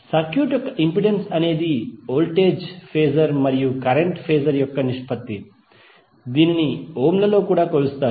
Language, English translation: Telugu, The impedance of a circuit is the ratio of voltage phasor and current phasor and it is also measured in ohms